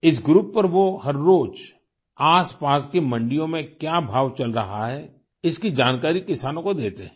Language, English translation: Hindi, On this group everyday he shares updates with the farmers on prevalent prices at neighboring Mandis in the area